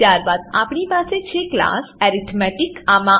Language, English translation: Gujarati, Then we have class arithmetic